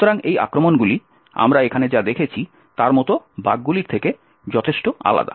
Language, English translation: Bengali, So, these attacks differ quite considerably from the bugs like what we have seen over here